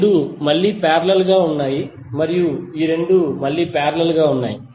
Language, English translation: Telugu, These 2 are again in parallel and these 2 are again in parallel